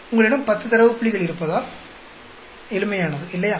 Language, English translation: Tamil, Because you have 10 data points, simple, right